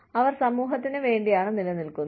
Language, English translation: Malayalam, They are, they exist for the community